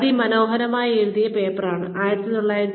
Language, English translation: Malayalam, It is a brilliantly written paper